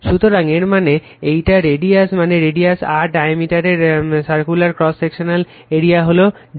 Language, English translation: Bengali, So, that means, your this one, your the radius mean radius R, circular cross section the of the diameter is d